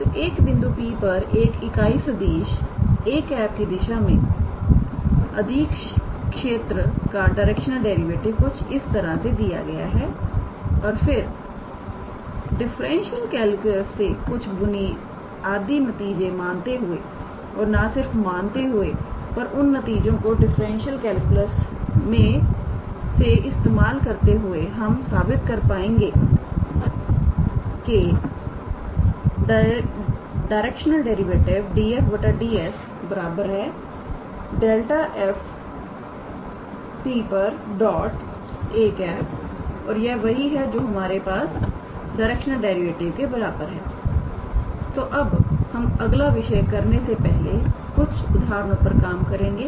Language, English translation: Hindi, So, the direction derivative of a scalar field at the point P in the direction of a unit vector a cap is given in this fashion and just assuming some basic results from the differential calculus and not assuming, but using those results from the differential calculus we can be able to show that the direction derivative df dS is equals to gradient of f at the point P times a cap and this is what is equal to our directional derivative, alright